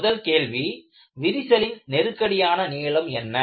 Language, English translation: Tamil, So, the first question is, "what is a critical length of a crack